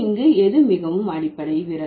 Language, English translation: Tamil, So, so which one is more rudimentary here